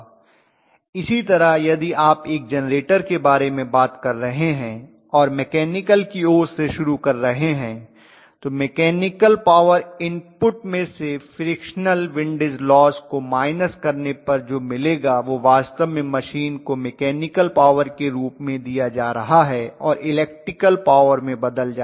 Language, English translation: Hindi, Similarly, if you are talking about a generator and starting off from the mechanical side you have to say mechanical power input minus whatever is the frictional windage losses will be actually given to the machine as the mechanical power which will be converted into electrical power